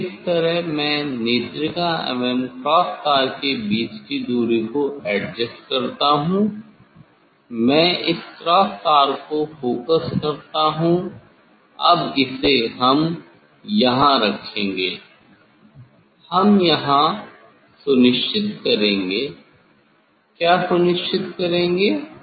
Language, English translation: Hindi, that way I put this adjusting the distance of this eye piece from the cross wire, I focus this cross wires Now, this we will put we will put here; we will attest here I attest here which part